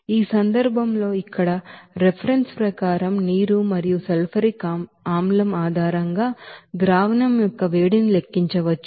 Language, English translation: Telugu, So, in this case as per reference here it is given that water and sulfuric acid based on which that heat of solution can be calculated